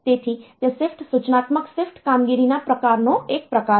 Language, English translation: Gujarati, So, that is one type of application of the shift instructional shifts type of operation